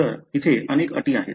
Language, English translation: Marathi, So, there are many conditions